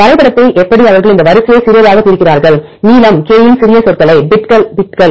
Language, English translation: Tamil, How to map they divide this sequences in to small bits small words of length k